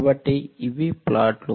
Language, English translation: Telugu, So, these are the plots